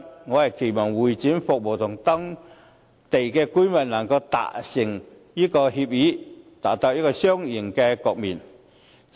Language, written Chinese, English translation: Cantonese, 我期望會展服務與當區居民能夠達成協議，達到一個雙贏的局面。, I hope that agreement can be reached with the residents of that district on HKCEC services so that a win - win situation can be attained